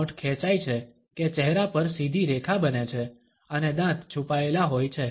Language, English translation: Gujarati, The lips are stretched that across the face to form a straight line and the teeth are concealed